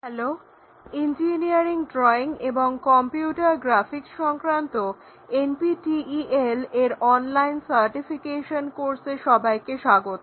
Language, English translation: Bengali, Hello everyone, welcome to our NPTEL online certification courses on Engineering Drawing and Computer Graphics